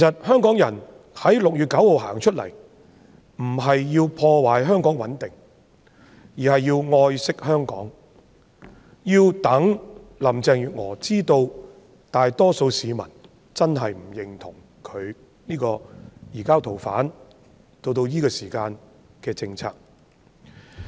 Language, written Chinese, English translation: Cantonese, 香港人在6月9日走出來並非要破壞香港的穩定，而是愛惜香港，讓林鄭月娥知道大多數市民真的不認同現時的移交逃犯政策。, Hong Kong people who will take to the streets on 9 June do not aim to undermine the stability of Hong Kong for they cherish Hong Kong and mean to let Carrie LAM know that the majority of people really do not agree with the existing policy in respect of the surrender of fugitive offenders